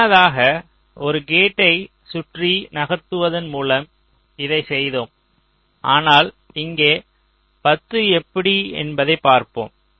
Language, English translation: Tamil, earlier we did it by moving a gate around, but here lets see this ten